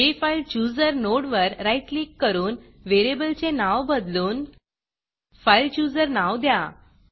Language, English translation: Marathi, Right click the JFileChooser node and rename the variable to fileChooser